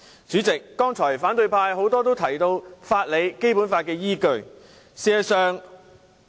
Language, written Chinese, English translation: Cantonese, 主席，多位反對派議員剛才提及法理及《基本法》作為依據。, President many opposition Members talked about legal grounds and the Basic Law as their basis just now